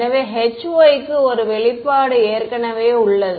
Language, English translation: Tamil, So, let us just we already have an expression for h y